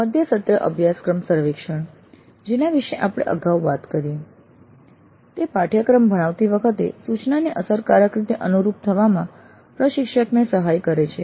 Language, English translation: Gujarati, Mid course surveys which we saw earlier, they do help the instructor to dynamically adopt instruction during the course delivery